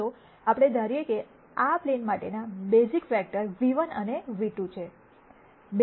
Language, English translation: Gujarati, Let us assume that the basis vectors for this plane are nu 1 and nu 2